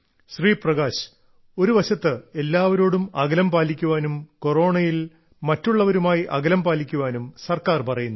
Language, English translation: Malayalam, Prakash ji, on one hand the government is advocating everyone to keep a distance or maintain distance from each other during the Corona pandemic